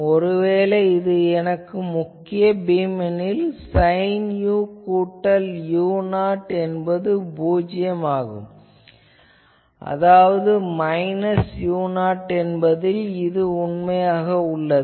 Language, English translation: Tamil, So, obviously, main beam always we get at a point, where the sin u plus u 0 that is should be 0 that means, at minus u 0, this is always true